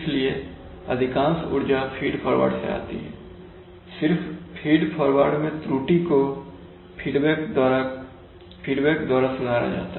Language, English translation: Hindi, So most of the energy is coming from the feed forward and only the control error in feed forward is corrected by feedback control